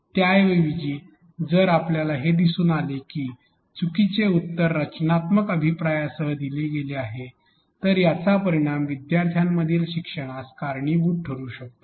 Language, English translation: Marathi, Instead if we can see that the wrong answer is provided with the constructive feedback can result in to a learning factor for the learners